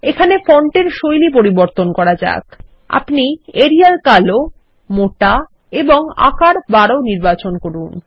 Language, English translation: Bengali, Let us also change the font style we will choose Arial Black, Bold and Size 12 and click on the Ok button